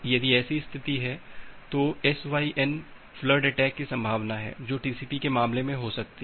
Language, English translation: Hindi, If that is the possible that is the case then there is the possibility of SYN flood attack which can happen in case of TCP